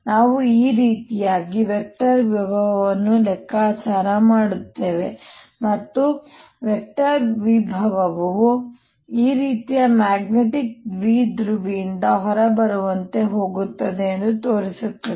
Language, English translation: Kannada, we'll calculate the vector potential due to this and show that vector potential goes to as if it's coming out of a magnetic dipole like this